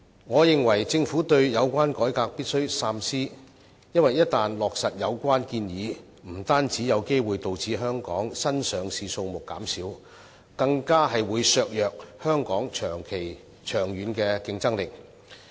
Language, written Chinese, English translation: Cantonese, 我認為政府對有關改革必須三思，因為一但落實有關建議，不單有機會導致香港新上市公司的數目減少，更會削弱香港長遠的競爭力。, I maintain that the Government should think twice about the reform . It is because if the reform proposal is implemented the number of companies applying for listing in Hong Kong may go down and not only this the long - term competitiveness of Hong Kong will also be weakened